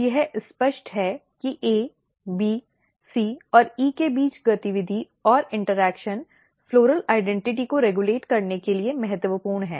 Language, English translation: Hindi, So, this is clear that the activity and interaction between A, B, C and E is important for regulating floral identity